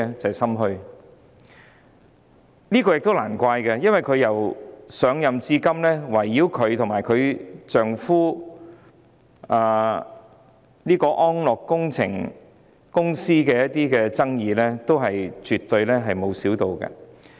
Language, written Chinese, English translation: Cantonese, 這是理所當然的，因為她上任至今，圍繞她和她丈夫的安樂工程集團的爭議沒有減少。, This saying is right and proper . Since her assumption of office the controversy surrounding Analogue Holdings owned by her and her husband has not diminished